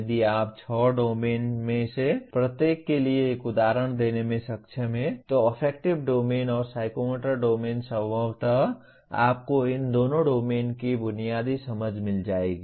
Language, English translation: Hindi, If you are able to give one example for each one of the six levels of Affective Domain and Psychomotor Domain possibly you would have got a basic understanding of these two domains